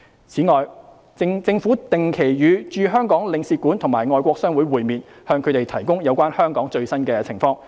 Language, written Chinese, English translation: Cantonese, 此外，政府定期與駐香港領事館及外國商會會面，向他們提供有關香港最新情況的資料。, In addition the Government has been regularly meeting with Consulates - General and foreign chambers of commerce in Hong Kong and updated them on the latest situation in Hong Kong